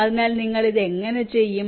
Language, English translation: Malayalam, so how you do this